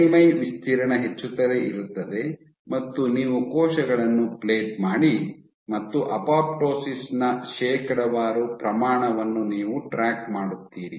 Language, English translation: Kannada, So, the surface area keeps on increasing you plate cells on this, and you track what is the percentage apoptosis